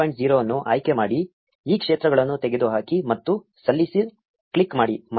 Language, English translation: Kannada, 0 from the drop down remove these fields and click submit